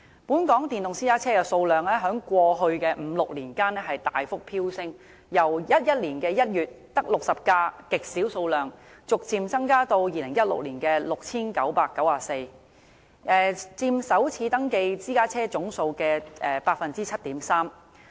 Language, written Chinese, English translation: Cantonese, 本港電動私家車的數量在過去的五六年間大幅飆升，由2011年1月只有極少數量的60輛，逐漸增至2016年的 6,994 輛，佔首次登記私家車總數的 7.3%。, Of the registered EVs 97 % were electric private cars . The number of electric private cars in Hong Kong has soared over the past five to six years increasing from merely 60 in January 2011 to 6 994 in 2016 or 7.3 % of all private cars registered for the first time